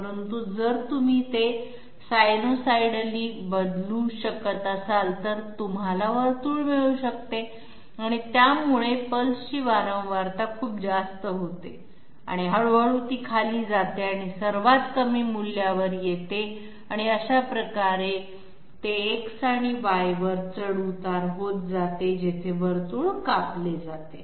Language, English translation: Marathi, But if you can change them sinusoidal, then you can get a circle so the pulse frequency becomes very high goes down gradually and comes to its lowest value and that way it goes on fluctuating along X and Y where circle is being cut okay